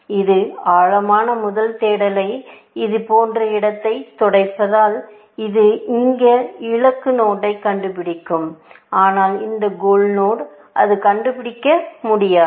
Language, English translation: Tamil, Because it is doing depth first search sweeping the space like this, it will find this goal node; but it will not find this goal node